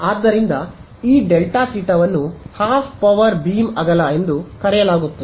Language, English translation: Kannada, So, this delta theta becomes it is called the Half Power Beam Width